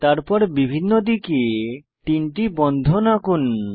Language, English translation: Bengali, On each edge of the bond let us draw three bonds